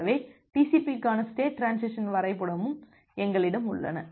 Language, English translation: Tamil, So we also have a state transition diagram for TCP